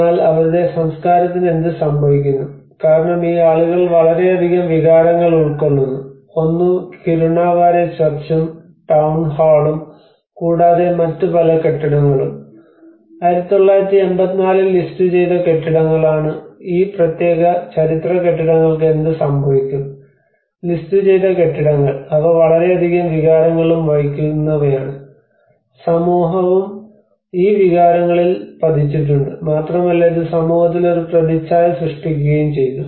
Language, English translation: Malayalam, But what happens to the culture because a lot of emotions which are attached by these people, one is the Kirunavare Church and the Town Hall and there are also many other buildings which are all listed buildings in 1984 so what happens to these particular historical buildings you know the listed buildings which have carry a lot of emotions and society have laid upon these emotions, and it has created an image within the society